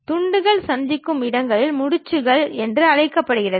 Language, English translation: Tamil, The places where the pieces meet are known as knots